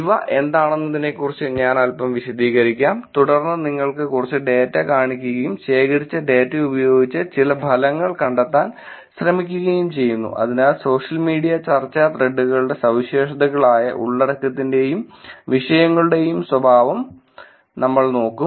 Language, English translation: Malayalam, Let me walk you through little bit about what these are, and then show you some data and try to finds some results with the data that was collected, so nature of content and topics that characterize social media discussion threads